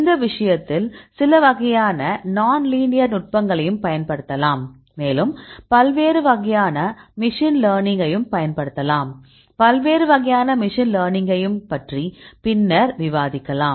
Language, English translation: Tamil, In this case you can also use some kind of non linear techniques and you can also use the different types of machine learning, I will discuss later about the different types of machine learning